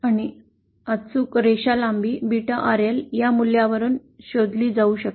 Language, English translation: Marathi, And the exact line length that is beta RL can be found out from this value